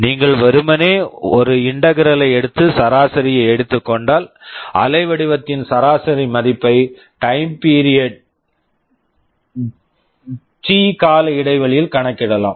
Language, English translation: Tamil, If you simply take an integral and take the average you can compute the average value of the waveform over the time period T